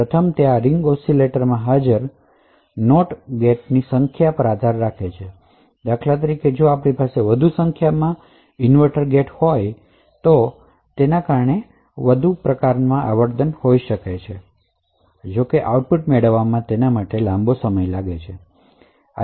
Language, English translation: Gujarati, First it depends on the number of NOT gates that are present in this ring oscillator for example, if you have more number of inverters gates then the frequency would be of this waveform would be lower because essentially the signal takes a longer time to propagate to the output